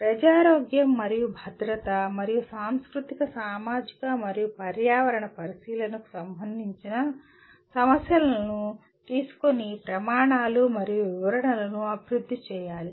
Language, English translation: Telugu, These criteria and specification should be developed taking issues related to the public health and safety and the cultural, societal and environmental consideration